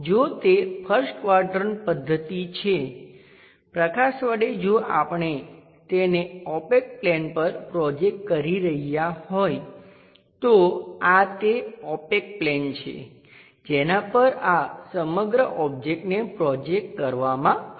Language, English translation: Gujarati, If it is first quadrant method by light if we are projecting it the opaque is this one opaque opaque plane on which this entire object will be projected